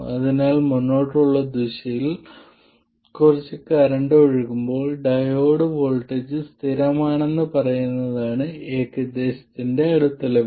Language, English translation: Malayalam, So, we can make a reasonable approximation that for a range of currents, the diode voltage is constant